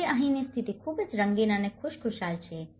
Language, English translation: Gujarati, Today, the situation here, is very colorful and very cheerful